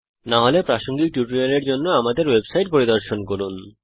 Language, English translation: Bengali, If not, for relevant tutorial please visit our website which is as shown